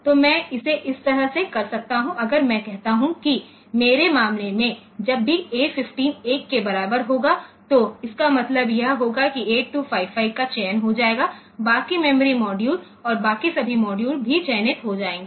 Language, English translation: Hindi, So, I can do it like this, I can put if I say that in my case, whenever A 15 is equal to 1, it will mean that 8255 will get selected that is for the rest of the for rest of the modules rest of the memory modules and all that